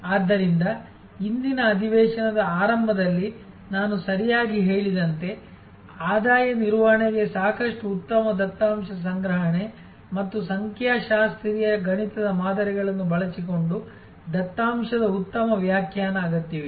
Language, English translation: Kannada, So, which means as I mention right in the beginning of today’s session, revenue management needs lot of good data collection and good interpretation of the data using statistical mathematical models